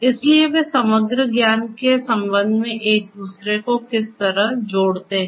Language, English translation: Hindi, So, how do they position each other with respect to the overall knowledge